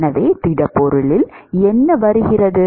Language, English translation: Tamil, So, what comes into the solid